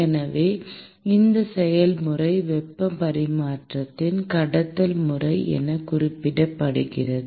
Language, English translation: Tamil, So, this process is what is referred to as conduction mode of heat transfer